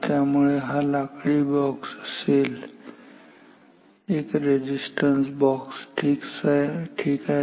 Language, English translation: Marathi, So, if this is a wooden box a resistance box ok